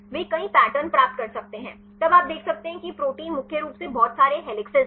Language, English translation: Hindi, They could get many patterns then you can see this protein is mainly having lot of helices